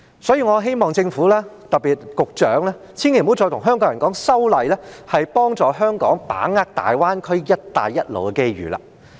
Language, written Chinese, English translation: Cantonese, 所以，我希望政府——特別是局長——千萬不要再跟香港人說，修例可以幫助香港把握大灣區"一帶一路"的機遇。, So I hope that the Government―particularly the Secretary―will stop telling Hong Kong people that the legislative amendments can help Hong Kong to capitalize on the opportunities presented by the Guangdong - Hong Kong - Macao Greater Bay Area and the Belt and Road Initiative